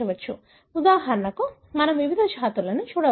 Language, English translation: Telugu, We can, for example look into different species